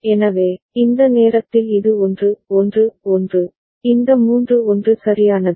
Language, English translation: Tamil, So, at this time this is 1 1 1, this three one right